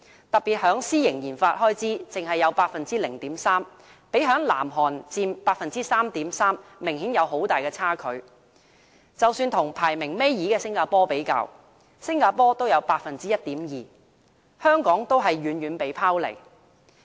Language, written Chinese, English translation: Cantonese, 特別是私營研發開支，只得 0.3%， 相比南韓的 3.3% 明顯有很大差距，即使與排名倒數第二的新加坡相比，新加坡也有 1.2%， 香港遠遠被拋離。, Contributed only 0.3 % to the GDP private RD in Hong Kong lagged far behind South Korea and was even behind the corresponding spending in Singapore which contributed 1.2 % to its GDP and was the second last on the list . Hong Kong is lagging far behind